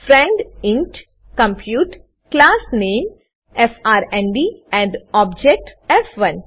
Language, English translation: Gujarati, friend int compute class name frnd and object f1